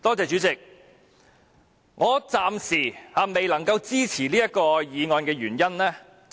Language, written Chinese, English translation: Cantonese, 主席，我暫時未能支持此項議案。, President up till now I cannot support this motion